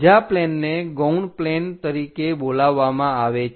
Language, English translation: Gujarati, The other planes are called auxiliary planes